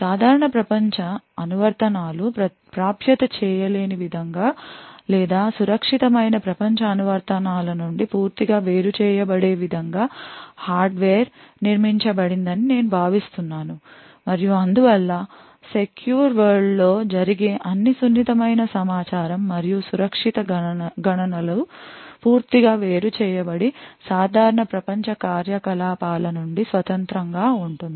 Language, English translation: Telugu, I think hardware is built in such a way that the normal world applications will not be able to access or is totally isolated from the secure world applications and therefore all the sensitive information and secure computations which is done in the secure world is completely isolated and completely independent of the normal world operations